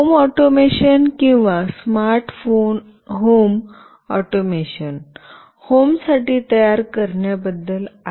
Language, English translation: Marathi, Home automation or smart home is about building automation for a home